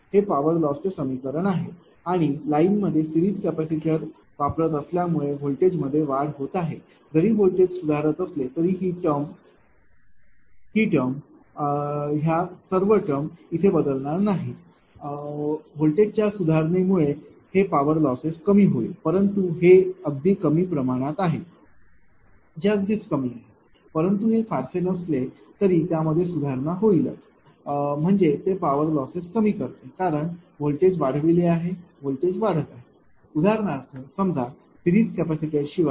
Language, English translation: Marathi, This is the power loss equation and because of the series capacitor placement in the line that voltage is improving if the voltage improves a improves although this thing this thing is unchanged right all this only little due to the improvement of the voltage there will be a power reduction in power loss, but that is ah quite less right that is quite less, but do not match it improves the your what you call a it your reduce the power losses; because it voltage is improved voltage is getting improved right, because suppose for example, suppose without series capacitor